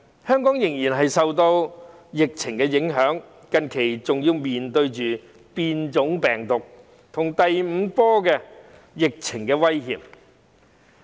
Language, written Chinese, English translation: Cantonese, 香港仍然受到疫情影響，近期更要面對變種病毒和第五波疫情的威脅。, Hong Kong is still affected by the epidemic and has to face the threat of virus variants and the fifth wave of the epidemic